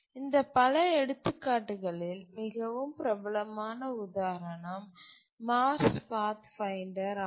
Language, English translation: Tamil, Out of these many examples, possibly the most celebrated example is the Mars Pathfinder